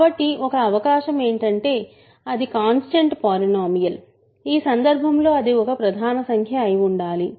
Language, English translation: Telugu, So, one possibility is it is a constant polynomial in which case it must be a prime number